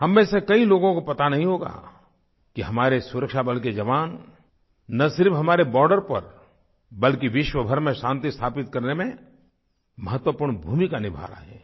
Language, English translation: Hindi, Many of us may not be aware that the jawans of our security forces play an important role not only on our borders but they play a very vital role in establishing peace the world over